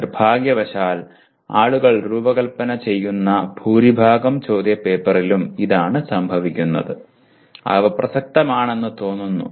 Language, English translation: Malayalam, And unfortunately that is what is happening in majority of the question papers that people design that they seem to be relevant